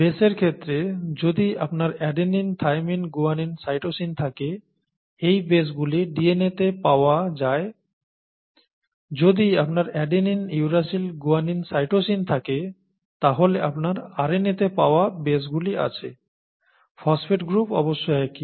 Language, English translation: Bengali, In the case of a base you have, if you have adenine, thymine, guanine, cytosine, those are the bases found in DNA, you have adenine, uracil, guanine, cytosine, then you have the bases found in the RNA, the phosphate group of course is the same